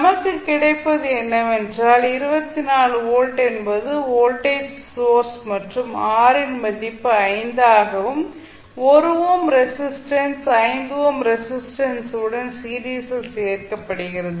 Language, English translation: Tamil, So what we get is that 24 volt is the voltage source and value of R is 5, value of 1 ohm resistance is added in series with 5 ohm resistance so total resistance of the circuit is 6 ohm and which is applied across 24 volt